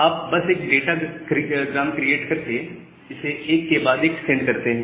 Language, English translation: Hindi, So, you just create a datagram and send it one after another